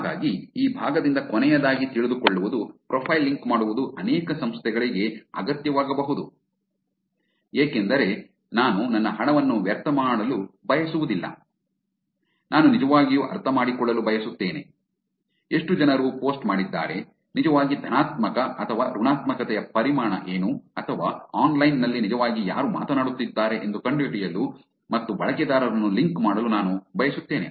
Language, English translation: Kannada, So, here is the last takeaway from this part which is profile linking may be necessary for many organizations as the questions that we said, I don't want to waste my money, I want to actually understand whether how many people are posted, what is the volume of actually positivity or negativity or I want to find out who is actually speaking online and to link users